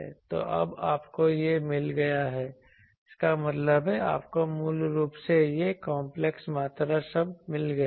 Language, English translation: Hindi, So, now you have got this; that means, you have got basically this you know you know completely this complex quantity term